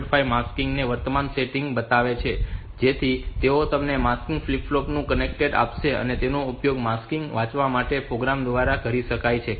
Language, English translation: Gujarati, 5 so they will give you the contain of the mask flip flop, they can be used by a program to read the mask setting